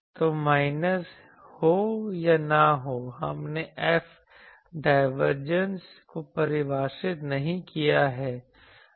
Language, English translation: Hindi, So, minus or now, we have not defined the divergence of F